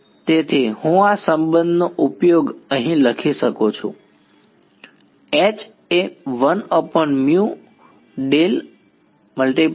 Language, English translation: Gujarati, So, I can use this relation over here H is